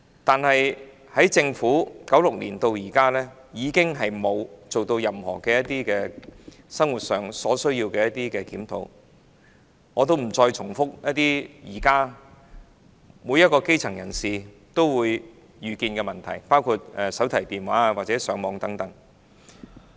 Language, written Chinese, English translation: Cantonese, 不過，政府自1996年至今並沒有對生活需要進行檢討，我不再重複現時基層人士可能遇到的問題，包括手提電話或上網等。, However the Government has not reviewed the basic needs in daily living since 1996 to date . I am not going to repeat the problems the grass roots may encounter nowadays such as mobile phones or Internet access